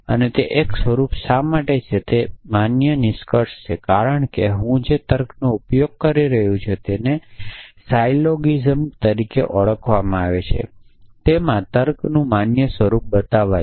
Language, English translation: Gujarati, And why is that a form why is that a valid conclusion, because the form of reasoning that I am using which called as a syllogism he showed to be valid form of reasoning